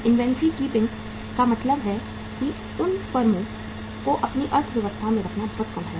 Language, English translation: Hindi, The inventory keeping means those firms keeping in their economy is much lower